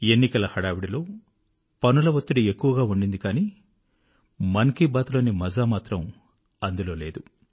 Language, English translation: Telugu, The rigours of Elections called for hectic preoccupation, but the one thing that was missing was the sheer joy of 'Mann Ki Baat